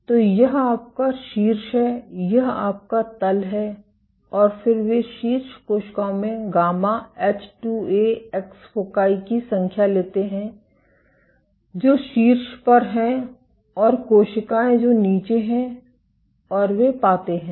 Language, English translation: Hindi, So, this is your top this is your bottom and then they take the number of gamma H2Ax foci in top cells which are at the top and cells which are at the bottom and they find that